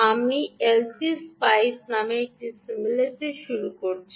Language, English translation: Bengali, i am starting a simulator called l t spice